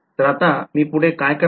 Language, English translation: Marathi, So, what do I do next